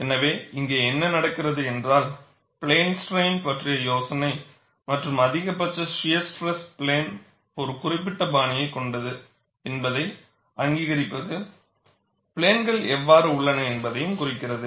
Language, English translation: Tamil, So, what happens here is, the idealization as plane strain and that recognition, that maximum shear stress plane is oriented in a particular fashion, dictates how the planes are; it is like this; the planes are like this